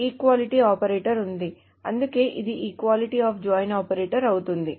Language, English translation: Telugu, So this equality operator is there, so that is why it is a equality of joint